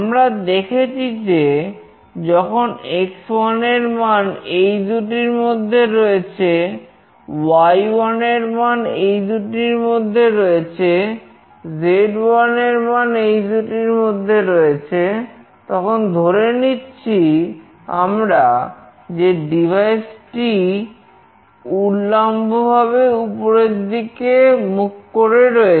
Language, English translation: Bengali, We have seen that when we are getting x1 between this and this, y1 between this and this, and z1 between this and this, then the devices is consider to be vertically up